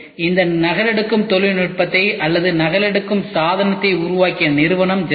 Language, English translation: Tamil, Xerox was the company which made this photocopying technology or the photocopying device